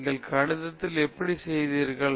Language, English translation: Tamil, How did you do it in mathematics